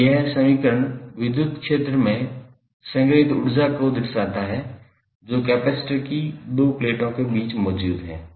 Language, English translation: Hindi, So, now this equation represents energy stored in the electric field that exists between the 2 plates of the capacitor